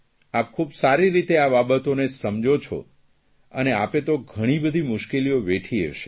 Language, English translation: Gujarati, You understand everything and you must have faced a lot of difficulties too